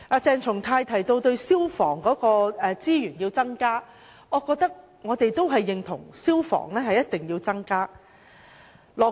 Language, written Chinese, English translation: Cantonese, 鄭松泰議員提到要增加消防處的資源，我認為我們也認同消防開支一定要增加。, Dr CHENG Chung - tai mentioned that resources for the Fire Services Department FSD should be increased . I think we agree that the expenditure on fire services must be increased